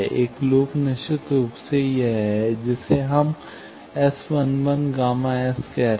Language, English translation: Hindi, One loop is definitely this, that we are calling S 1 1 gamma S